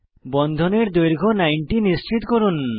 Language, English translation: Bengali, Ensure Bond length is around 90